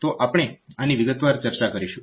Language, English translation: Gujarati, So, we will look into this in detail